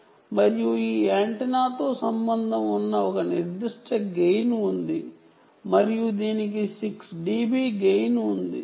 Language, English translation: Telugu, this is the antenna, ok, and there is a certain gain associated with this antenna and it has a gain of six d b i gain